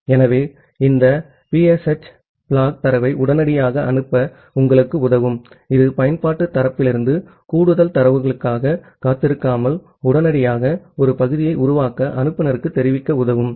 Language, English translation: Tamil, So, this PSH flag it will help you to send the data immediately, it will help make inform the sender to create a segment immediately, without waiting for more data from the application side